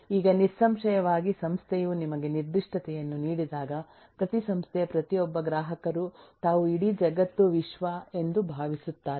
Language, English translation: Kannada, now we will say that now when, certainly when the organisation give you the specification, the, every organisation, every customer thinks that they are the whole world, they are the universe